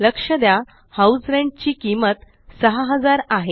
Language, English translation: Marathi, Note, that the cost of House Rent is rupees 6,000